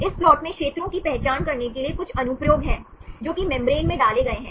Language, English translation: Hindi, This plot has some applications to identify the regions, which are inserted in the membrane right